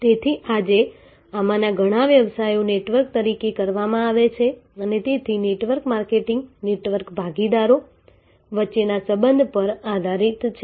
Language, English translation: Gujarati, So, today many of these businesses are performed as networks and therefore, network marketing is based on a relationship among the network partners